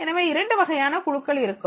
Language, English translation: Tamil, So there are two types of the groups